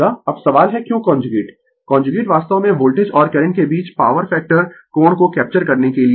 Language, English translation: Hindi, Now, question is why the conjugate conjugate is actually to capture the power factor angle between the voltage and current